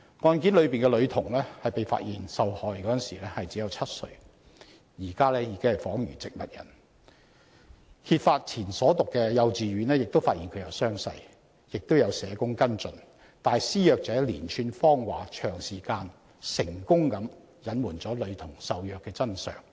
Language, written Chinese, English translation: Cantonese, 案中女童被發現受害時只有7歲，至今已仿如植物人，案件揭發前女童就讀的幼稚園亦發現她有傷勢，並由社工跟進，但施虐者的連串謊話卻能長時間成功隱瞞了女童受虐的真相。, The girl concerned was only seven years old when she was discovered a victim and is now literally in a vegetative state . Before the case was uncovered the kindergarten attended by the girl had discovered her wounds and arranged for a social worker to follow up . Yet a series of lies by the abuser somehow managed to conceal for a long time the truth of the girl being abused